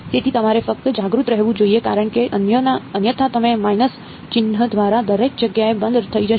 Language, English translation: Gujarati, So, you should just be aware because otherwise you will be off everywhere by minus sign